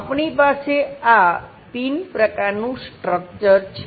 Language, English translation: Gujarati, We have this kind of pin kind of structure